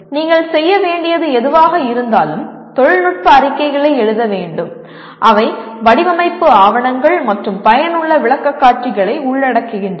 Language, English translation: Tamil, Whatever you do you need to write, you should be able to write technical reports or reports which are also include design documentations and make effective presentations